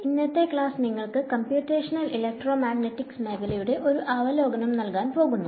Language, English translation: Malayalam, So today’s class is going to give you an overview of the field of Computational Electromagnetics